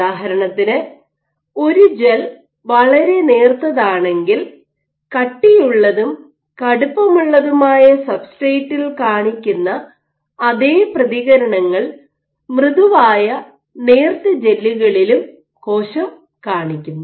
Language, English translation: Malayalam, So, for example, if a gel is very thin then cell responses on soft thin gels mimic that on thick and stiff substrates